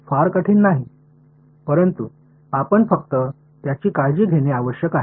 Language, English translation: Marathi, Not very hard, but we just have to keep taking care of it